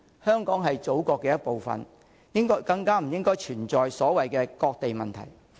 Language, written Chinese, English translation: Cantonese, 香港是祖國的一部分，更不應該存在所謂"割地"問題。, Since Hong Kong is part of China the problem of the so - called cession of land simply should not exist